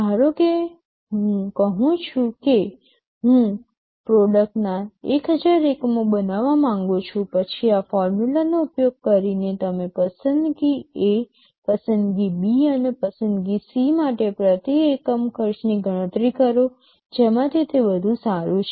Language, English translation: Gujarati, Suppose I tell I want to manufacture 1000 units of product, then using this formula you calculate the per unit cost for choice A, choice B, and choice C; which one of them is better